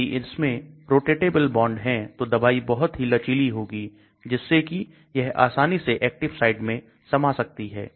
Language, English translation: Hindi, Once you have rotatable bond the drug is very flexible so it can easily fit into an active site